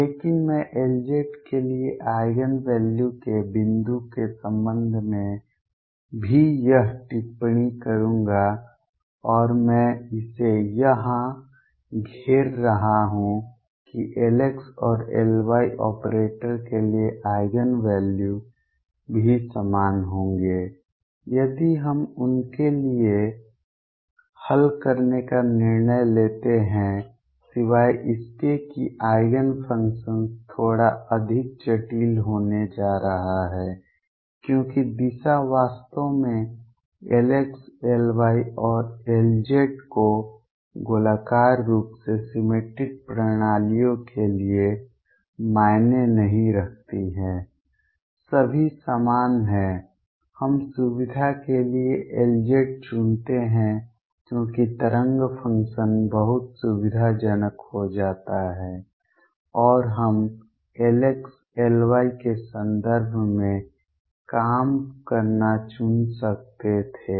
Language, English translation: Hindi, But I would also this comment with respect to the point for the Eigen values for L z and I am circling it here is that the Eigen values for L x and L y operators will also be the same if we decide to solve for them except that the Eigenfunctions are going to be slightly more complicated because the direction should not really matter L x L y and L z for a spherically symmetric systems are all the same we choose L z for convenience because the wave function becomes very convenient we could have chosen to work in terms of L x, L y and L square instead also the same results